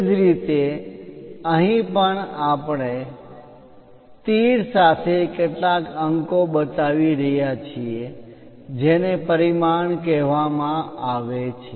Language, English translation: Gujarati, Similarly, here also we are showing some numerals with arrows those are called dimension